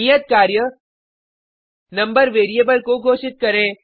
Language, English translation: Hindi, Print the variable declared